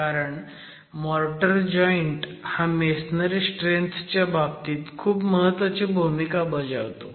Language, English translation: Marathi, We have seen that the motor joint has a very important role to play in the strength of masonry